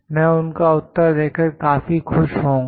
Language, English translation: Hindi, I will be very happy to respond to them